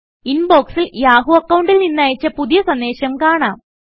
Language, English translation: Malayalam, The new message sent from the yahoo account is displayed in the Inbox